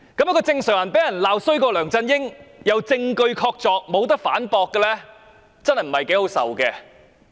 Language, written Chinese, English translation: Cantonese, 一個正常人被人罵比梁振英更差，而且證據確鑿不能反駁，真的不大好受。, Any normal person would surely feel hurt when being described as even worse than LEUNG Chun - ying and was unable to refute the hard evidence